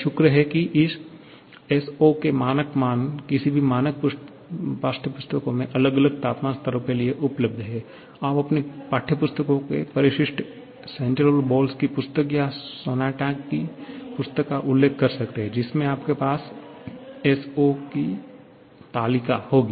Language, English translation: Hindi, Thankfully, standard values of this S0 are available for different temperature levels in any standard textbooks, you can refer to the appendix of your textbooks, the book of Cengel and Boles or the book of Sonntag you will have the table of this S0